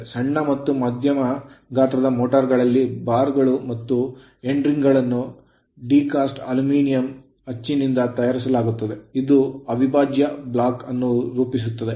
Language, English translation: Kannada, In small and medium size motors, the bars and end rings are made of die cast aluminium moulded to form an in your what you call an integral block